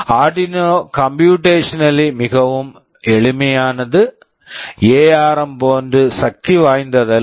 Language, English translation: Tamil, Arduino is computationally very simple, not as powerful as ARM